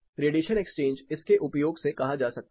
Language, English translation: Hindi, Radiation exchanges can be said using this